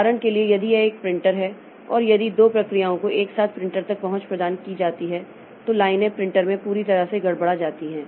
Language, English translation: Hindi, For example, if it is a printer and if two processes are given access simultaneously to the printer, then the lines are all jumbled up in the printer